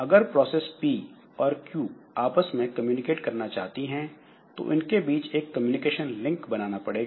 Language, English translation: Hindi, So if processes P and Q wish to communicate, they need to establish a communication link between them